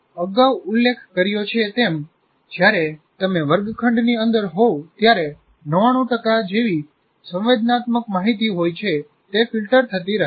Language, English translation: Gujarati, As I said, when you are inside the classroom, something like 99% of the kind of sensory information that comes keeps getting filtered